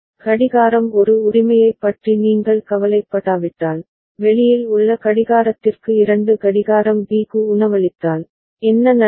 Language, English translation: Tamil, If you do not bother about clock A right, if you just feed the outside clock two clock B, then what will happen